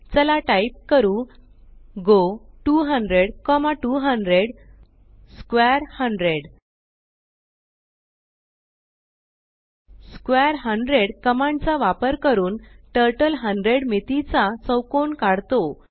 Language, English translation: Marathi, Lets type go 200,200 square 100 Using the command square 100 Turtle draws a square of dimension 100